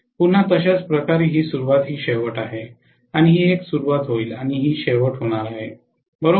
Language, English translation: Marathi, Again similarly, this is the beginning this is the end and this is going to be the beginning and this is going to be the end, right